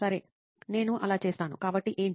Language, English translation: Telugu, Okays I will do that, so what